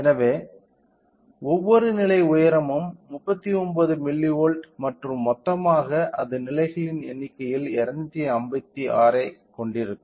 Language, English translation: Tamil, So, which means that each level height is of 39 milli volt and total it will have 256 in the number of levels